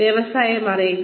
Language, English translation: Malayalam, Know the industry